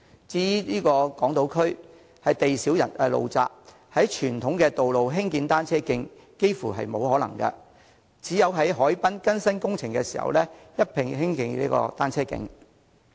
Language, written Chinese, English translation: Cantonese, 至於港島區，地小路窄，在傳統道路興建單車徑，幾乎是沒有可能的，只能在海濱進行更新工程時，一併興建單車徑。, As regards Hong Kong Island the area is small and the roads are narrow . It is almost impossible to construct cycle tracks on the conventional roads . Cycle tracks can only be constructed concurrently when renovation works are carried out at the harbourfront